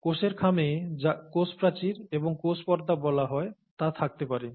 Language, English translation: Bengali, The cell envelope may contain what is called a cell wall and a cell membrane